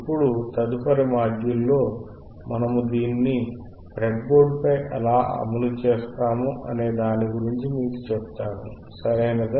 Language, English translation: Telugu, And now in the next module, we will implement it on the breadboard, alright